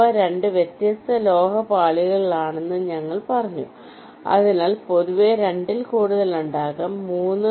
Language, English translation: Malayalam, we told that they are located on two different metal layers, but in general there can be more than two